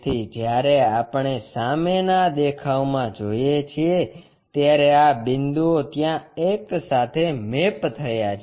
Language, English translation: Gujarati, So, when we are looking front view, these points mapped all the way to that one